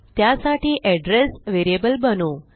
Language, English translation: Marathi, So, we will create an address variable